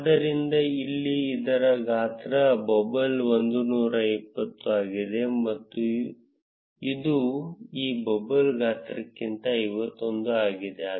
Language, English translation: Kannada, So, here the size of this bubble is 120, which is greater than the size for this bubble which is 51